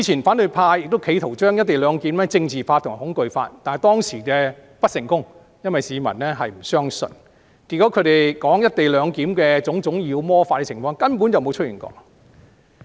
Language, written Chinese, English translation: Cantonese, 反對派之前亦企圖將"一地兩檢"政治化和恐懼化，但他們當時不成功，因為市民不相信，結果他們就"一地兩檢"提出的種種妖魔化狀況根本沒有出現。, Some time ago the opposition camp tried politicization and intimidation in the case involving the co - location arrangement . Yet they failed on that occasion for the public did not believe them . Subsequently the various kinds of scenarios demonized by them under the co - location arrangement have not arisen